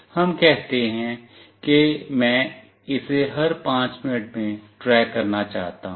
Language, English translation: Hindi, Let us say I want to track it every 5 minutes